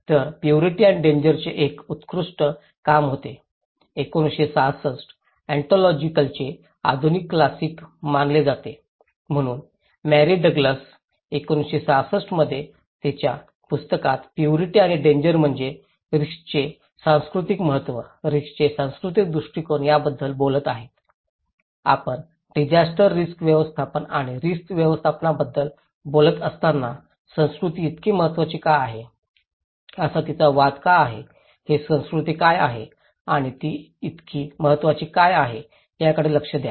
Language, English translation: Marathi, So, there was an outstanding work by Purity and Danger, 1966 considered to be modern classic of anthropology, so Mary Douglas in her book in 1966, Purity and Danger is talking about the cultural importance of risk, the cultural perspective of risk that we would look into why, what is culture and why it is so important, what why she is arguing that culture is so important when we are talking about disaster risk management or risk management